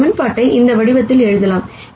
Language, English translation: Tamil, We can write this equation also in this form